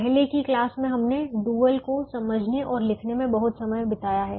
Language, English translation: Hindi, in earlier classes we have spent a lot of time understanding the dual and also in writing the dual